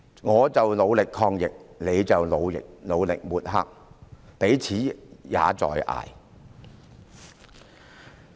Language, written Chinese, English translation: Cantonese, 我們努力抗疫，她卻努力抹黑，彼此也在"捱"。, We make efforts in fighting the epidemic but she makes efforts in mudslinging . Both sides are having a hard time